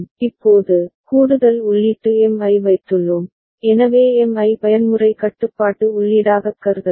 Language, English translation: Tamil, Now, we have put an additional input M, so M can be considered as mode control input